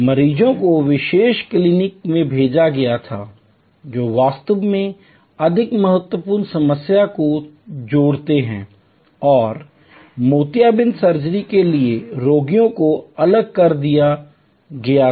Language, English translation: Hindi, Patients were referred to specialty clinics, who add actually more critical problem and patients for cataract surgery were segregated